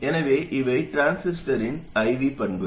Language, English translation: Tamil, So these are the IV characteristics of the transistor